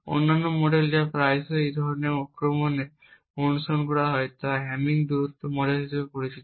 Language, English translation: Bengali, The other model that is quite often followed in these kind of attacks is known as the hamming distance model